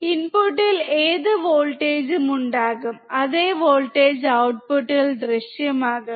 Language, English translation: Malayalam, Whatever voltage will be at the input, same voltage will appear at the output